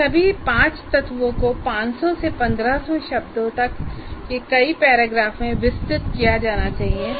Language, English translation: Hindi, So all these elements, these five elements should be elaborated into several paragraphs leading to 500 to 1,500 words